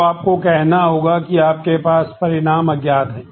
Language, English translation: Hindi, So, you have to say that you have result is unknown